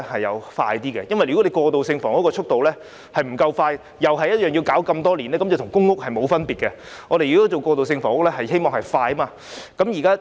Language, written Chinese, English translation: Cantonese, 如果供應過渡性房屋的速度不夠快，又是要等很多年的話，那便與公屋沒有分別，過渡性房屋的供應是必須快的。, If transitional housing cannot be supplied promptly and if it will again take many years to complete it will be no different from public rental housing . The supply of transitional housing has to be fast